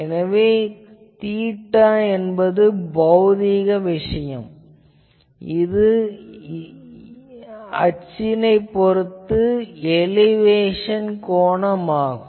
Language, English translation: Tamil, So, theta, theta is a physical thing, it is the elevation angle that means, with the axis you see